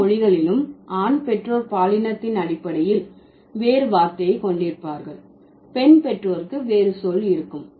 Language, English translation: Tamil, In all languages, the male parent would have a different word on the basis of the sex and the female parent would have a different word